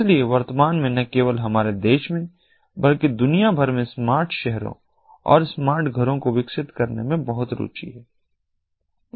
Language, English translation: Hindi, so at present, not only in our country but throughout the world, there is a lot of interest on developing smart cities and smart homes